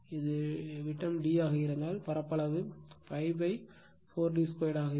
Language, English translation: Tamil, If it is diameter is d, so area will be pi by 4 d square